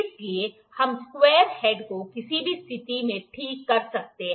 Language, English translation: Hindi, So, we can fix the square head at any position